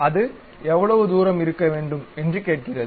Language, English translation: Tamil, Then it ask how much distance it has to be there